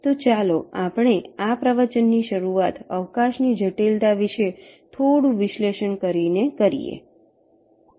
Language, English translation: Gujarati, ok, so let us start this lecture by analyzing the space complexity a little bit of these approaches